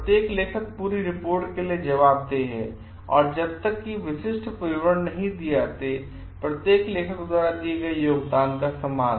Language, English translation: Hindi, Each author is accountable for the entire report until and unless specific statements are made with respect to the contribution made by each author